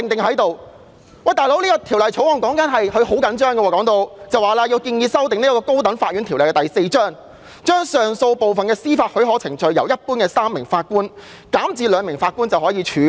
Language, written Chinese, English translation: Cantonese, 可是，她當初對《條例草案》卻好像非常着緊，聲言要修訂《高等法院條例》，把上訴部分的司法許可程序由一般的3名法官減至只需2名法官便可處理。, Yet she seemed to have attached very great importance to the Bill at the outset claiming that the High Court Ordinance Cap . 4 should be amended to allow the use of two instead of three Justices of Appeal JAs to hear and determine the granting of leave for appeal cases